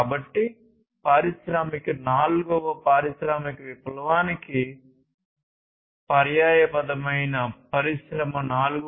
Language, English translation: Telugu, And this is this fourth industrial revolution or the Industry 4